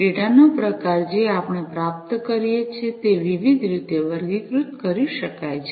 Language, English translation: Gujarati, The type of data, that we receive can be characterized in different ways